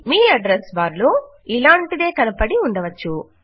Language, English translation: Telugu, Something similar may have appeared in your address bar